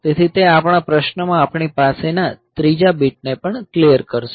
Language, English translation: Gujarati, So, that will also clear the third bit that we have in our question